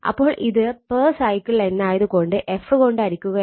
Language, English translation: Malayalam, So, it is per cycle, so it is divided by f right